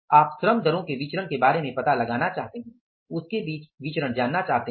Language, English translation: Hindi, Rate you want to find out the variance between the labor rate you want to find out